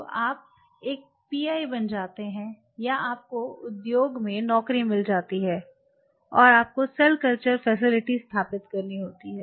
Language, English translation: Hindi, So, you become a pi or you get a job in the industry and you have to set up a cell culture facility